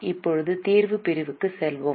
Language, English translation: Tamil, Now we will go to the solution segment